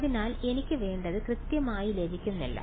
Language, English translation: Malayalam, So, I am not exactly getting what I want